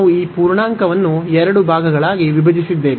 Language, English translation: Kannada, So, we have break this integer into two parts